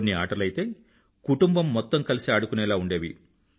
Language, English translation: Telugu, Some games saw the participation of the whole family